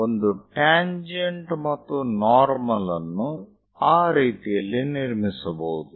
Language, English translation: Kannada, So, a tangent and normal, one can construct it in that way